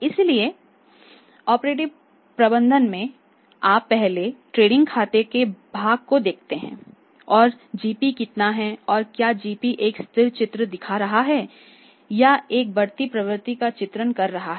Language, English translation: Hindi, So operative management first you look at the trading account part and how much is a GP and whether GP is depicting a stable picture or depicting a rising trend that is the case